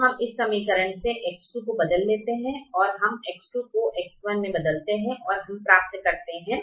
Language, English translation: Hindi, we substitute for x two into x one and we get three plus x three minus x four